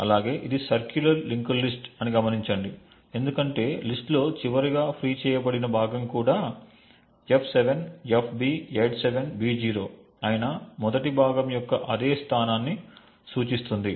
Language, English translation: Telugu, Also note that this is a circular linked list because the last freed chunk in the list also points to the same location as that of the first chunk that is f7fb87b0